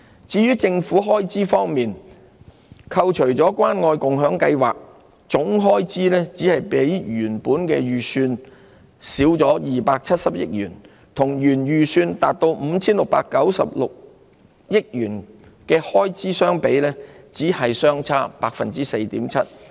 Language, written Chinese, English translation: Cantonese, 至於政府開支方面，扣除關愛共享計劃，總開支只比原本預算少270億元，與原預算達 5,696 億元的開支相比，只是相差 4.7%。, As regards government expenditure total expenditure net of the Caring and Sharing Scheme was smaller than the original estimate by 27 billion only a mere difference of 4.7 % as compared with the original estimated expenditure of 569.6 billion